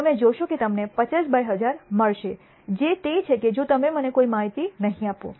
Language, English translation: Gujarati, You will find that you get 50 by 1,000 which is that if you do not give me any information about